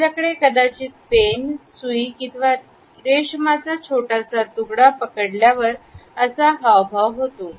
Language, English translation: Marathi, You might be holding a pen or a needle or a piece of soft silk